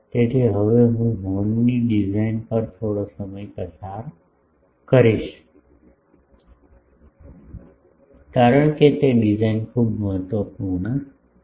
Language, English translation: Gujarati, So, I will now spend some time on the design of the horn, because that design is very important